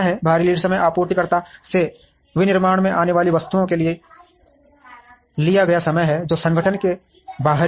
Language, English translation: Hindi, External lead time is the time taken for items to come from the supplier to the manufacturing, which is external to the organization